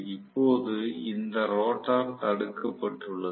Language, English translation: Tamil, Now, this rotor is blocked